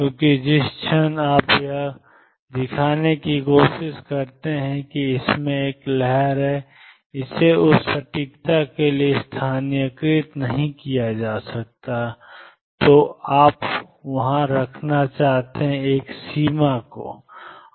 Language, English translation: Hindi, Because the moment you try to show it has a wave it cannot be localized to the accuracy which you wish to have there is a limitation